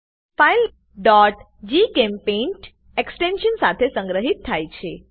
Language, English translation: Gujarati, File is saved with .gchempaint extension